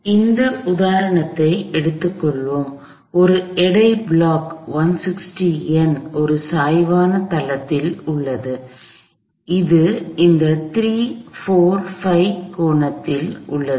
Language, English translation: Tamil, So, let us we take this example here, a block of weights 160 Newton’s is on a inclined plane that has, that is on this 3, 4 5 triangle